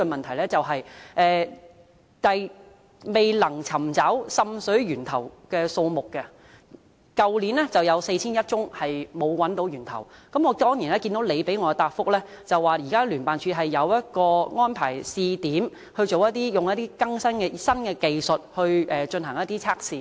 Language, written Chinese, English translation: Cantonese, 去年"未能尋找滲水源頭的個案數目"為4100多宗，而局長在主體答覆中表示，聯辦處現正安排於試點地區使用新技術進行測試。, There were more than 4 100 cases for which the source of seepage could not be identified last year . The Secretary stated in the main reply that JO is arranging the application of new technological methods in pilot districts